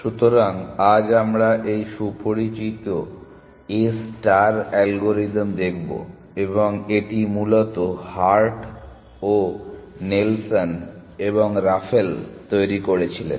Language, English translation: Bengali, So, today we want to look at this well known A star algorithm and this was devised by Hart, Nelson and Raphael essentially